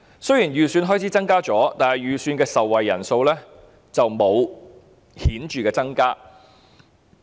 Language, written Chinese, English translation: Cantonese, 雖然增加了預算開支，但預算的受惠人數並沒有顯著增加。, Despite an increase in the expenditure estimate there is no significant increase in the estimated number of people who will enjoy these services